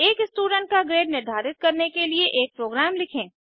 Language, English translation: Hindi, Let us write a program to identify grade of a student